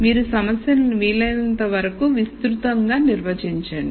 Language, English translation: Telugu, You define the problem in as broad a way as possible